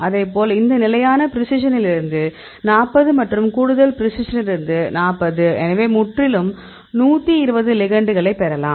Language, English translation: Tamil, So, we will get the 40 hits for the virtual screening; likewise 40 from this standard precision and 40 from the extra precision; so, totally we will get 120 ligands